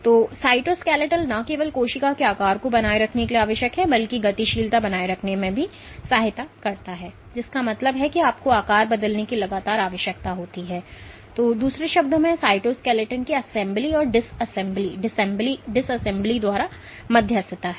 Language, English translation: Hindi, So, cytoskeletal is essential not only for maintaining the shape of the cell, but also for maintaining or aiding in motility which would mean that you need to continuously change shape or in other words this is mediated by assembly and disassembly of the cytoskeleton